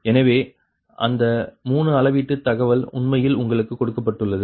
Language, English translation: Tamil, right, so that three measurement data actually given to you, right